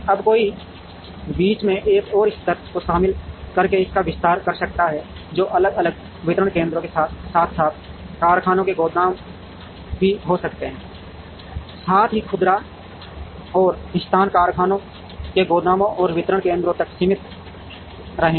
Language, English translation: Hindi, Now, one can expand it by including one more level in between, which could be factories warehouses separately distribution centers, as well as retailer and the location will be restricted to factories warehouses and distribution centers